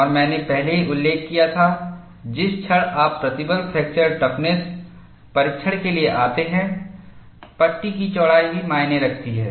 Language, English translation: Hindi, And I had already mentioned, the moment you come to plain stress fracture toughness testing, the width of the panel also matters